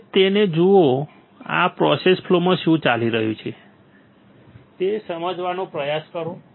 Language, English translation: Gujarati, Now, look at it and try to understand what is going on in this process flow